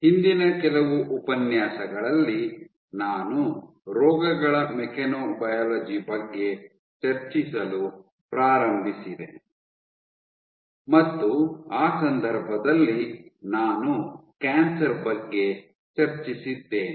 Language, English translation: Kannada, In the last few lectures that started discussing about Mechanobiology of diseases and in that context, I had discussed Cancer